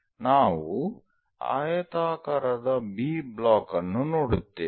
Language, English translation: Kannada, We will see something like a rectangle B block